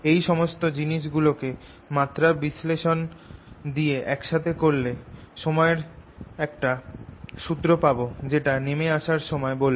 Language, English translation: Bengali, combining all this through a dimensional analysis i can create a formula for time that it will take to come down